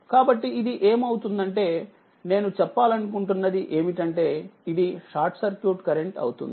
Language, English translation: Telugu, So, you will get this what you call this is short circuit current